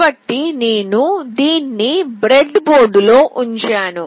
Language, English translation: Telugu, So, I put it up in the breadboard like this